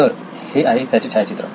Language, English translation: Marathi, So this is a snapshot from the book